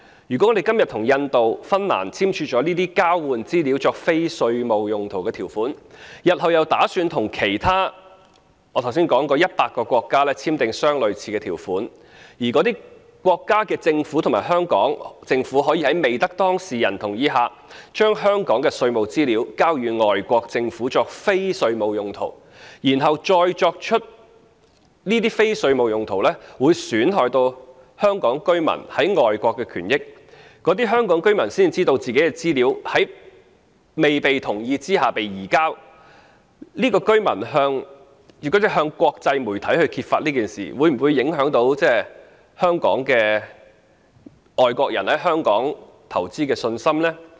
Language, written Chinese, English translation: Cantonese, 如果我們今天與印度和芬蘭訂立了這些交換資料作非稅務用途的條款，日後又打算與其他我剛才提及的100個國家簽訂類似的條款，而該等國家的政府及香港政府可以在未經當事人同意下，將香港的稅務資料交予外國政府作非稅務用途，然後這些非稅務用途又損害到香港居民在外國的權益，而這些香港居民屆時才知道他們的資料在未經他們同意下被移交，如果這些居民向國際媒體揭發事件，會否影響外國人在香港投資的信心呢？, What if after entering into agreements which provide for the use of the exchanged information for non - tax related purposes with India and Finland today we do the same with the 100 countries I mentioned just now―countries which governments will have access to and be able to use for non - tax related purposes tax information of Hong Kong handed over by the Government of Hong Kong without the consent of the persons concerned―and end up undermining Hong Kong peoples interests and rights overseas as a result of those non - tax related purposes for which their information is used? . Will foreign investors confidence in Hong Kong be affected if some members of the Hong Kong public having realized that their information was transferred without their consent approach the international media and expose the issue?